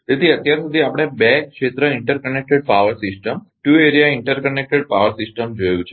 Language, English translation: Gujarati, So, so far we have ah seen that two area interconnected power system